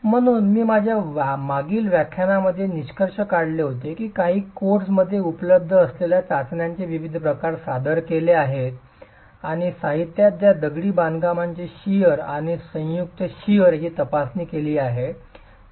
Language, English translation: Marathi, So I had concluded my previous lecture presenting the different types of tests that are available in some codes and in the literature that examines shear strength of masonry and joint shear strength